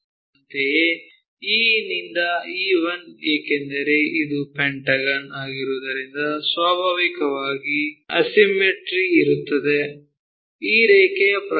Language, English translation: Kannada, Similarly, E to E 1, E to E 1, because it is a pentagon naturally asymmetry is there in terms of this line